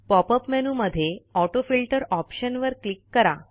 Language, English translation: Marathi, Click on the AutoFilter option in the pop up menu